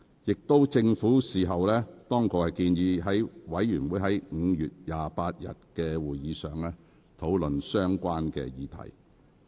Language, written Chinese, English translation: Cantonese, 其後，政府當局建議該事務委員會於5月28日的會議上討論相關議題。, Subsequently the Administration proposed to discuss the topic on the Panel meeting of 28 May